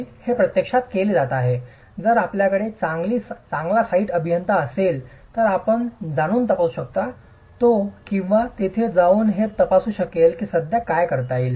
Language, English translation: Marathi, If you have a good site engineering, you'll go and check, you or she will go and check if this can be achieved